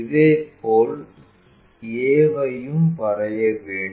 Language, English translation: Tamil, Similarly, through a also we should draw